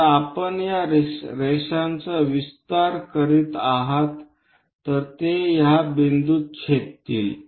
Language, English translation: Marathi, So, if we are extending these lines, it is going to intersect at this point